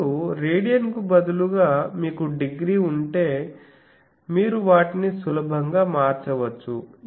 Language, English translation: Telugu, Now if instead of radian you have degree then this you can easily convert those are thing